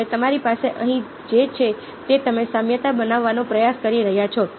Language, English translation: Gujarati, ok, now what you have is what you have over here is you are trying to create a analogy